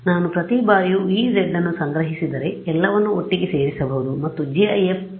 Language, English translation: Kannada, If I store the E z at every time instant I can put it all together and make gif file